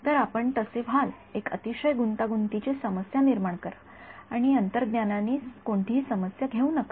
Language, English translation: Marathi, So, you will be so, make a very complicated problem and get no intuition problem